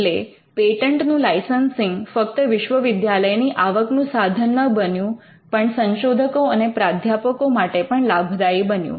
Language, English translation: Gujarati, So, licensing of patents became a revenue for universities, but not just the universities, but also for the researchers and the professors